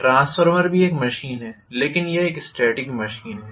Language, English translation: Hindi, Transformer is also very much a machine but it is a static machine